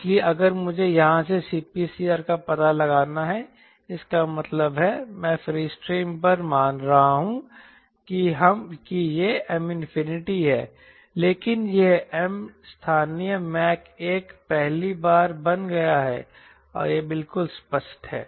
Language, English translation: Hindi, so if i want to find out c p critical from here, that means i am assuming on the free stream is m infinity, but this m has become local mark, has become one for the first time